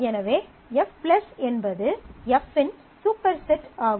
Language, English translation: Tamil, So, F+ necessarily is a superset of F